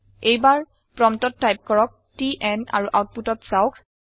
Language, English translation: Assamese, This time at the prompt type in TN and see the output